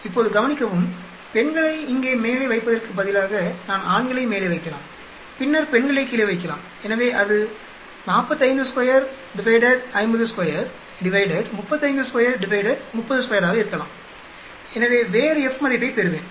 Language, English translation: Tamil, Now notice, instead of putting women on top here, I can also put men on top then women at the bottom, so it can be 45 square by 50 square, 35 square by 30 square so I will get a different F value note that